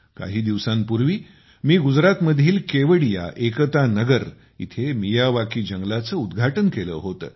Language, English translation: Marathi, Some time ago, I had inaugurated a Miyawaki forest in Kevadia, Ekta Nagar in Gujarat